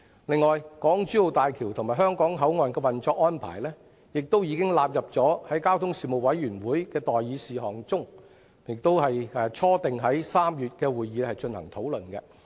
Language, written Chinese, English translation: Cantonese, 此外，港珠澳大橋香港口岸的運作安排已經納入了交通事務委員會的待議事項中，並初定在3月的會議進行討論。, Moreover the issue of the operational arrangements for the HZMB Hong Kong Boundary Crossing Facilities has been included on the list of outstanding items for discussion of the Panel on Transport and has been initially scheduled for discussion at the meeting in March